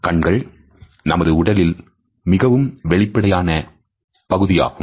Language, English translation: Tamil, Eyes are the most expressive part of our body